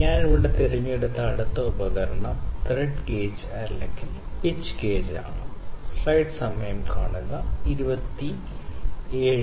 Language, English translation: Malayalam, So, the next instrument I will pick here is the Thread Gauge or Pitch Gauge